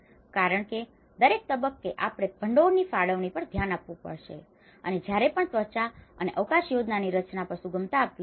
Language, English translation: Gujarati, Because each stage we have to look at the funding allocation as well and while still allowing flexibility on the design of skin and space plan